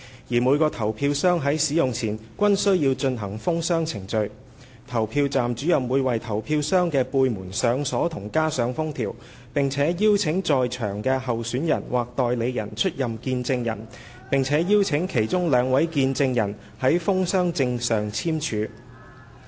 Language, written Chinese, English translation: Cantonese, 而每個投票箱於使用前均須進行封箱程序，投票站主任會為投票箱的背門上鎖及加上封條，並邀請在場的候選人/代理人出任見證人，並且邀請其中兩名見證人於封箱證上簽署。, Every ballot box must go through a sealing procedure before use . The candidatesagents present were invited to witness the procedure of locking and sealing the back door of the ballot boxes by PRO and two of them were invited to sign on the sealing certificate